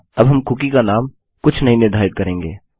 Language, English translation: Hindi, Now we will set the cookie name to nothing